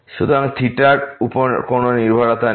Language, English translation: Bengali, So, no dependency on theta